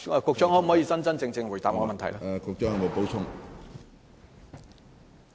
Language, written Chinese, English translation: Cantonese, 局長可否真真正正回答我的質詢呢？, Can the Secretary give a genuine reply to my question?